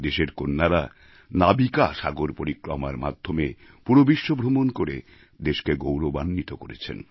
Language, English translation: Bengali, Daughters of the country have done her proud by circumnavigating the globe through the NavikaSagarParikrama